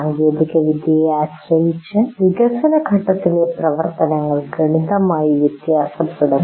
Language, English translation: Malayalam, And depending on the technology, the activities of development phase will completely vary